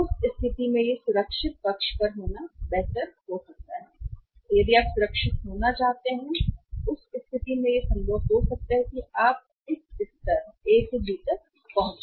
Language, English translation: Hindi, In that case it may be better to be on the safer side and if you wanted to be on the safer side in that case it can be possible that you reach at this level A to B